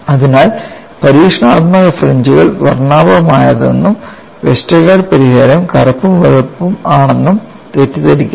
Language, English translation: Malayalam, So, do not confuse that experimental fringes are colorful Westergaard solution is black and white